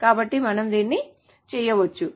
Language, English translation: Telugu, So we can just do this